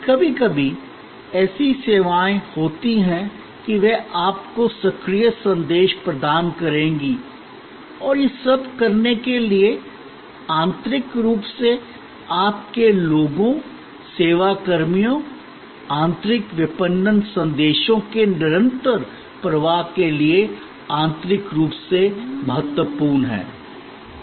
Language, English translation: Hindi, Sometimes, there are services were they will provide you proactive messages and all these to make it happen, it is also important to internally to your people, the service personnel, a continuous flow of internal marketing messages